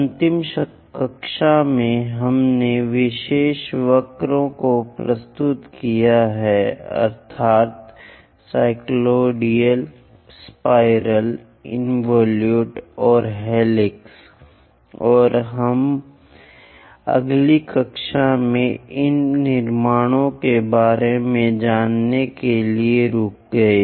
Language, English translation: Hindi, In the last class, we have introduced the special curves, namely cycloid, a spiral, an involute and a helix and we stopped to learn about these construction in the next class